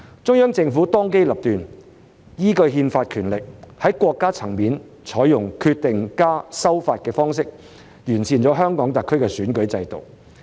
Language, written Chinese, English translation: Cantonese, 中央政府當機立斷，依據憲法權力，在國家層面採用"決定+修法"的方式完善了香港特區的選舉制度。, The Central Government has acted decisively in accordance with its constitutional power to adopt the approach of Decision plus Amendment at the State level to improve the electoral system of HKSAR